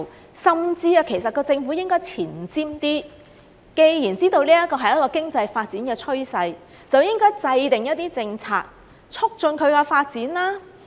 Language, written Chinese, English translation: Cantonese, 其實，政府甚至應該前瞻一些，既然知道這是一個經濟發展的趨勢，就應該制訂一些政策，促進其發展。, Actually the Government should be more forward - looking . Given that it knows this is an economic development trend it should formulate some policies to facilitate its development